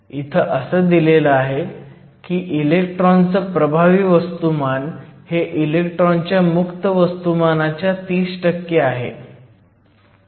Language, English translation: Marathi, In this particular problem, it says the electron effective mass is 30 percent of the free electron mass